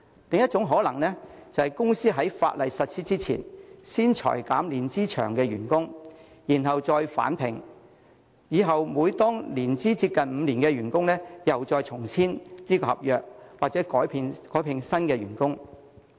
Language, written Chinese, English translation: Cantonese, 另一種可能性是，公司在法例實施之前，先裁減年資長的員工，然後再聘回他們，以後每當員工的年資接近5年，又再與他們重新簽訂合約，或改聘新員工。, Another possibility is that before the implementation of the law a company will first lay off employees with long years of service and then hire them afresh . Every time an employees length of service approaches five years it will sign a new contract with him or recruit a new employee